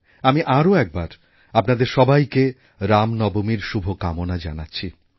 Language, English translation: Bengali, Once again, my best wishes to all of you on the occasion of Ramnavami